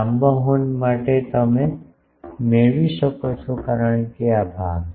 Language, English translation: Gujarati, For long horns you can get because this part is ok